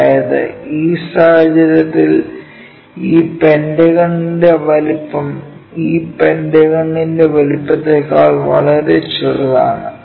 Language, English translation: Malayalam, That means, in this case the size of this pentagon is very smaller than the size of this pentagon